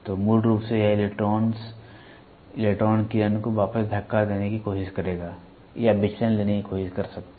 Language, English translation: Hindi, So, basically this will try to push back the electrons electron beam to that is or it can try to take the deviation